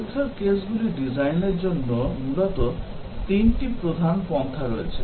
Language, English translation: Bengali, There are essentially 3 main approaches for designing test cases